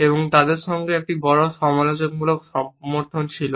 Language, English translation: Bengali, This idea has also received a lot of critical support